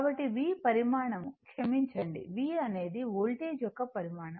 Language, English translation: Telugu, So, V is the magnitude, sorry V is the magnitude of the voltage